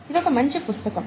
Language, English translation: Telugu, It's also a nice book